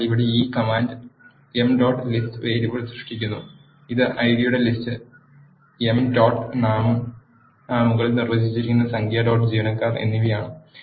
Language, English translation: Malayalam, So, this command here creates m dot list variable which is a list of the ID, emp dot name and num dot employees that are defined above